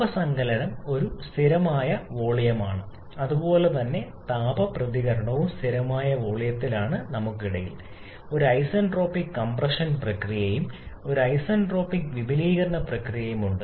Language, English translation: Malayalam, The heat addition is a constant volume similarly the heat reaction is also at constant volume in between we have an isentropic compression process and an isentropic expansion process